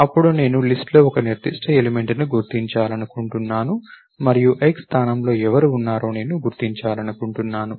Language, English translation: Telugu, Then I want to locate a particular element in the list and all I find out, who is there at position x